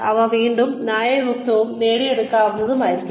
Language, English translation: Malayalam, They should be reasonable again, achievable